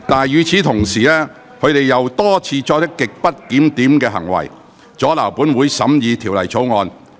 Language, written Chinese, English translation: Cantonese, 與此同時，他們卻又多次作出極不檢點的行為，阻撓本會審議《條例草案》。, Meanwhile they have repeatedly acted in a grossly disorderly manner to obstruct the scrutiny of the Bill by this Council